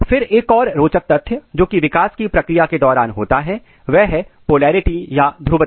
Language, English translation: Hindi, Then another interesting thing what happen during the process of development is the polarity